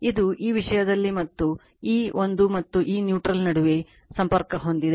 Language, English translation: Kannada, It is it is connected in this thing and , between this one and this neutral it is connected right